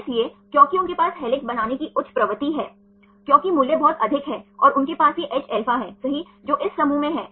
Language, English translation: Hindi, So, because they have high tendency to form helix because the value is very high and they have this hα right that is in this group